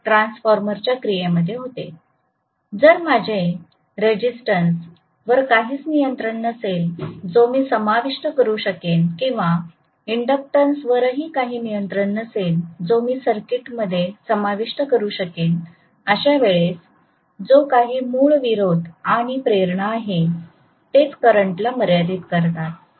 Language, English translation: Marathi, So if I have no control over the resistance that I can include or no control over an inductance that I can include in the circuit whatever is the inherent value of resistance and inductance that is what limits the current